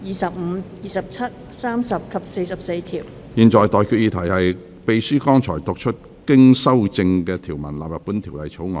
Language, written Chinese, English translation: Cantonese, 我現在向各位提出的待決議題是：秘書剛讀出經修正的條文納入本條例草案。, I now put the question to you and that is That the clauses as amended just read out by the Clerk stand part of the Bill